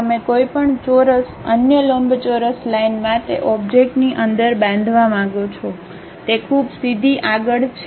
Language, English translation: Gujarati, You would like to construct any square, any other rectangle line within the object it is pretty straight forward